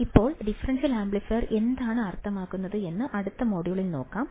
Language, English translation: Malayalam, Now, let us see in the next module what exactly a differential amplifier means